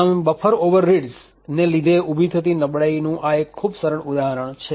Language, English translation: Gujarati, So, this we see is a very simple example of a vulnerability due to buffer overreads